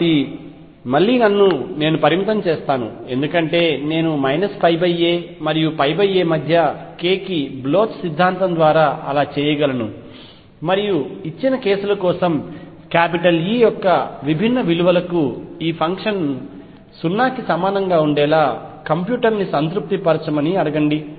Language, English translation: Telugu, So, again I will restrict myself because I can do so by Bloch’s theorem to k between minus pi by a and pi by a and ask the computer satisfy this function to be equal to 0 for different values of E for a given cases